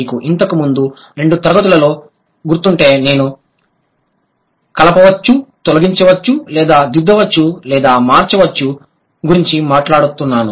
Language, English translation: Telugu, If you remember in a couple of classes earlier, I was talking about add, delete or alter or change